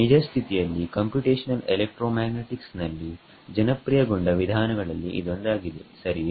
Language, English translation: Kannada, It is in fact, one of the most popular methods in Computational Electromagnetics right